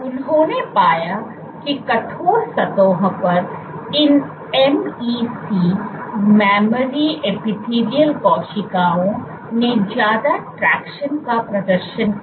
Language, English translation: Hindi, What they also found was on stiff surfaces these MEC’s memory epithelial cells exhibited increased tractions